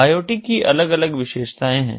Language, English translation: Hindi, there are different characteristics of iot